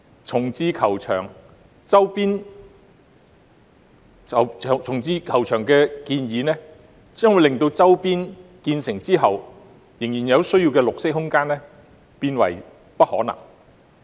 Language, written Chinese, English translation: Cantonese, 重置球場的建議一經落實，將會令周邊地區所需的綠色空間變為不可能。, Once the proposal on the relocation of the golf course is implemented green space needed in the surrounding area will be gone